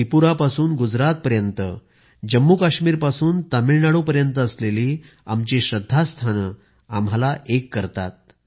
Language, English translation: Marathi, Our centres of faith established from Tripura to Gujarat and from Jammu and Kashmir to Tamil Nadu, unite us as one